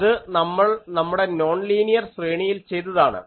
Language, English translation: Malayalam, So, the same that we have done for linear array